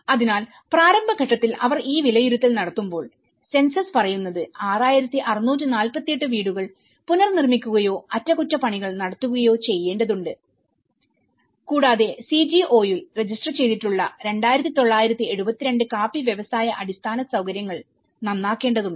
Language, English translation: Malayalam, So, when they make this assessment of the early stage the census says 6,648 houses need to be reconstructed or repaired and 2,972 coffee industry infrastructures registered with the CGO need to be repaired